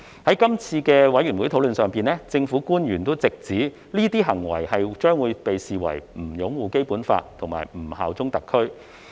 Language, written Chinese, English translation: Cantonese, 在法案委員會的討論中，政府官員直指這些行為將被視為不擁護《基本法》和不效忠特區。, During the deliberation of the Bills Committee government officials clearly pointed out that the aforesaid acts would be considered as not upholding the Basic Law and bearing allegiance to HKSAR